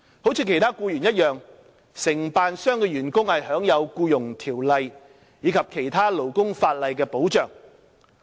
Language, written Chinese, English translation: Cantonese, 如其他僱員一樣，承辦商的員工享有《僱傭條例》及其他勞工法例的保障。, Like other employees staff members employed by service contractors enjoy protection under the Employment Ordinance and other labour laws